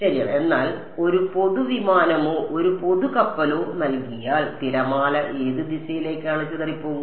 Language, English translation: Malayalam, Right, but given a general aircraft or a general ship, what direction will the wave gets scattered into